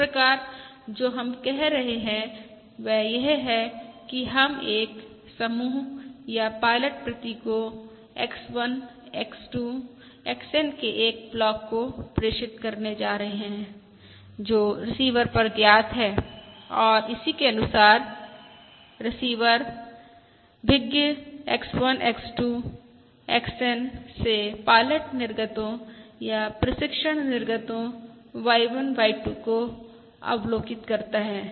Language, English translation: Hindi, So what we are saying is we are going to transmit a bunch or a block of pilot symbols X1, X2… XN, which are known at the receiver and, corresponding to this, the receiver observes the pilot output or the training output Y1, Y2… YN